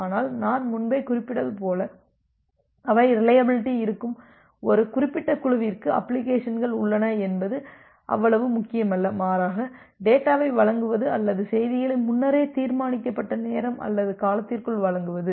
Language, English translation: Tamil, But as I have mentioned earlier that they are exist a certain group of applications where reliability are is not that much important; rather delivering the data or delivering the messages more important within a predefined time or duration